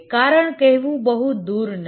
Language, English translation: Gujarati, The reason is not very far to seek